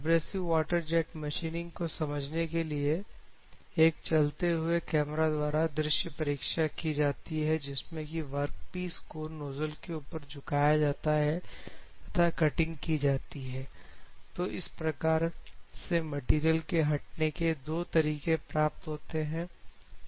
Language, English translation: Hindi, So, for understanding abrasive water jet machining, there is a visual examination is conducted with the moving camera by tilting the work piece on the nozzle, cutting would take place at different